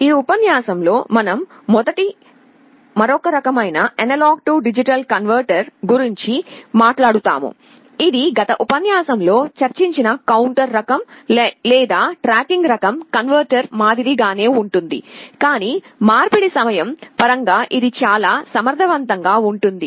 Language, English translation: Telugu, In this lecture we shall be first talking about another kind of A/D converter, which is similar to counter type or tracking type converter that we discussed in the last lecture, but is much more efficient in terms of the conversion time